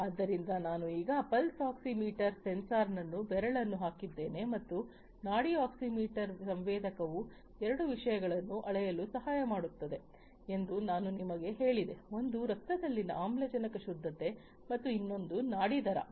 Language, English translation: Kannada, So, I have now put the pulse oximeter sensor put my finger into it and I just told you that the pulse oximeter sensor helps in measuring two things one is the oxygen saturation in the blood and the other one is the pulse rate